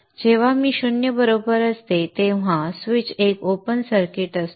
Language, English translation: Marathi, When i is equal to zero, the switch is an open circuit